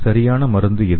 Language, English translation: Tamil, So what is the perfect drug